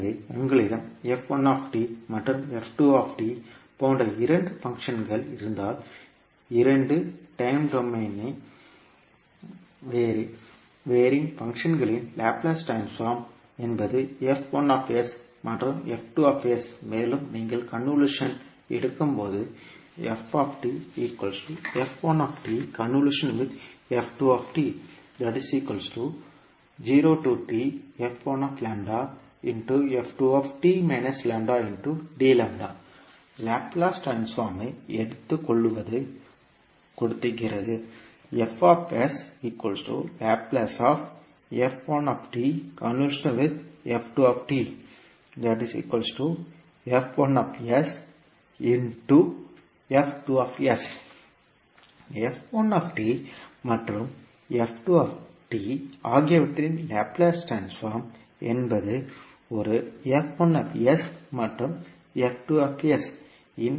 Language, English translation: Tamil, So suppose if you have two functions like f1 and f2, the Laplace transform of those two time varying functions are f1s and f2s , then if you take the convolution of f1 and f2 then you will say that the output of the convolution of f1 and f2 and when you take the Laplace of the convolution of the f1 and the f2, you will simply say that the Laplace of the convolution of f1 and f2 would be nothing but f1s multiplied by f2s